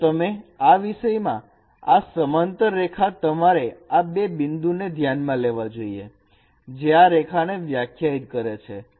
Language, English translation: Gujarati, So you take in this case, suppose you have taken this parallel lines, say this line, you have considered these two points which defines this line